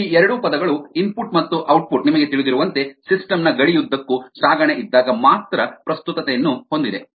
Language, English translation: Kannada, these two terms, input and output, have relevance, as you know, only when there is transport across the boundary of the system